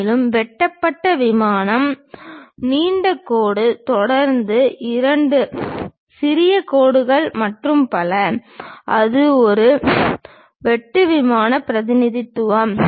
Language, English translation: Tamil, And, the cut plane long dash followed by two small dashes and so on; that is a cut plane representation